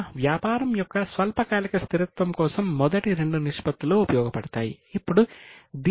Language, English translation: Telugu, So, first two ratios were mainly for short term stability of the business